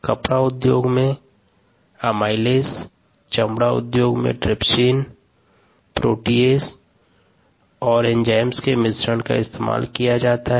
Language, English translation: Hindi, textile industry: amylase, leather industry, trypsin, proteases and cocktails of enzymes could be used